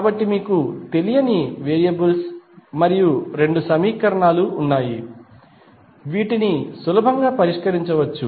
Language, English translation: Telugu, So, you have two unknown variables and two equations which can be easily solved